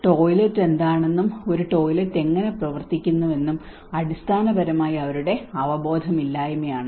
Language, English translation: Malayalam, It is basically their lack of awareness on what a toilet is and what how a toilet functions